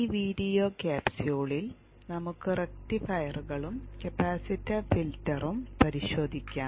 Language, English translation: Malayalam, In this video capsule we shall look at rectifiers and capacitor filter